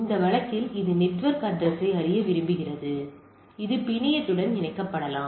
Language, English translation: Tamil, In this case it want to know the network address so it gets connect can get connected to the network right